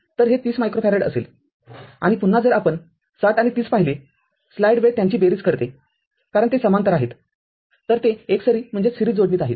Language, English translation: Marathi, So, this will be 30 micro farads and again we will see 60 and 30 if you have make it add it up because they are in parallel